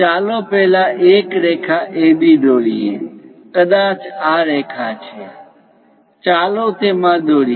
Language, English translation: Gujarati, Let us first draw a line AB; maybe this is the line; let us join it